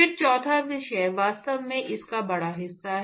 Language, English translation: Hindi, Then the 4th topic is really the bulk of it